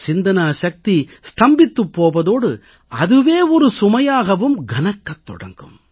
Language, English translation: Tamil, The thought process comes to a standstill and that in itself becomes a burden